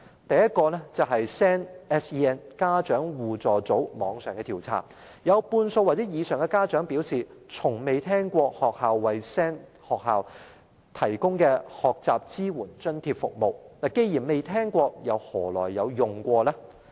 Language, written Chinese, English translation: Cantonese, 第一 ，SEN 家長互助組的網上調查顯示，有半數或以上家長表示，從未聽過學校為 SEN 學生提供的學習支援津貼服務，既然從未聽聞，試問又何曾使用呢？, Firstly results of an online survey conducted by a SEN parent support group reveal that 50 % or more than 50 % of the respondents had never heard of the Learning Support Grant provided by schools to students with special educational needs SEN